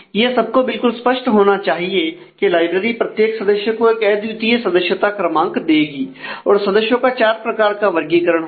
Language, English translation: Hindi, So, it should be quite obvious library has talked of that it can each it will issue unique membership number to every member and there are 4 categories of member